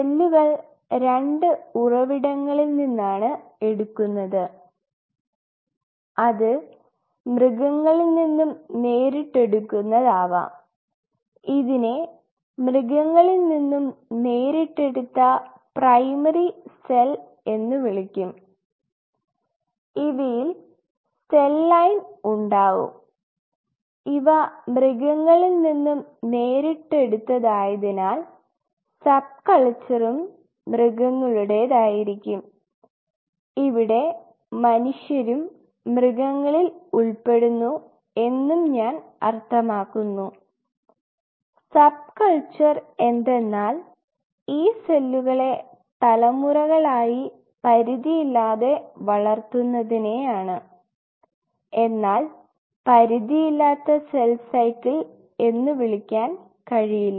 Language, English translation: Malayalam, And cell could be of 2 sources it could directly come from an animal which we call as Primary Cell directly from animal where is you have cell line, which are derived from animal and subculture derive from animal and here animal I even mean human being to derived from animal and subculture they are almost like generations after generations you are growing them unlimited or you cannot call it unlimited cell cycle